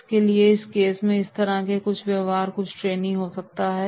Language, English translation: Hindi, So therefore in that case this type of behaviour may be there of some of the trainees